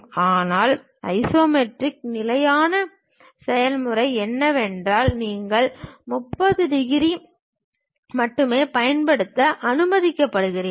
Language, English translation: Tamil, But the standard process of isometric is, you are permitted to use only 30 degrees